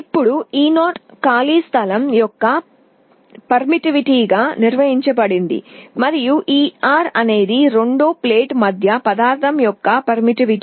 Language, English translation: Telugu, Now, e 0 is defined as the permittivity of free space, and e r is the permittivity of the material between the two plates